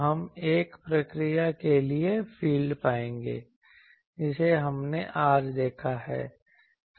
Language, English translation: Hindi, So, we will find the field for a one that procedure today we have seen